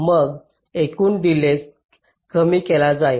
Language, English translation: Marathi, what will be the total delay